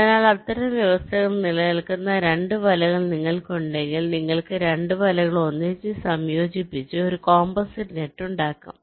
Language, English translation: Malayalam, so if you have two nets for which such conditions hold, then you can merge the two nets together to form a so called composite net